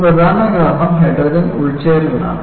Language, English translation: Malayalam, One of the important causes is hydrogen embrittlement